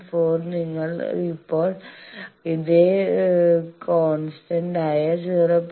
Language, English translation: Malayalam, 4 you now move on this same constant 0